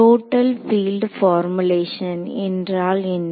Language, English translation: Tamil, So, what is called the Total field formulation